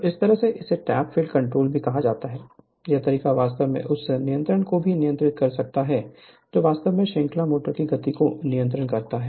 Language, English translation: Hindi, So, this way also this is called tapped field control, this way also you can control the your what you call that your control the speed of the series motor right